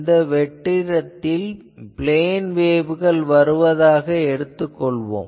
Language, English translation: Tamil, So, in free space ranges you assume that there are plane waves coming